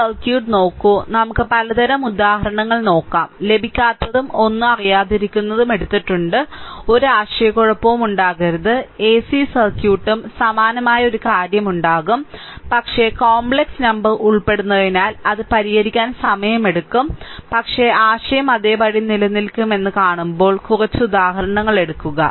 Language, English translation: Malayalam, So, just look at this circuit, let us look varieties of examples, we have taken such that you should not get, you should not be any you know you; there should not be any confusion ac circuit also similar thing will be there, but we take less number of examples when you see that because complex number will involve, it takes time to solve right, but concept will remain same